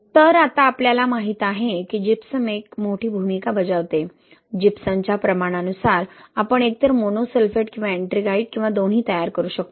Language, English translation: Marathi, So, now we know that Gypsum plays a big role, depending on the amount of gypsum we can either form monosulphate or ettringite or both of those, right